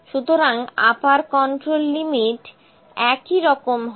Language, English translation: Bengali, So, this is my upper control limit